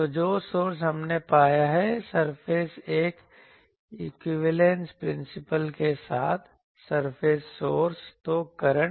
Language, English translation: Hindi, So, the source we have found the surface with a equivalence principle the surface sources; so, currents